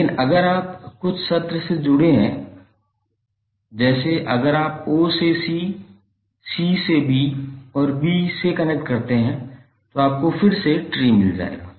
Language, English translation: Hindi, But if you connected through some session like if you connect from o to c, c to b and b to a then you will again find the tree